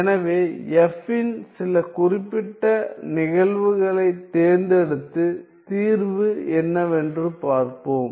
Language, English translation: Tamil, So, let us choose some particular cases of f and see what is the solution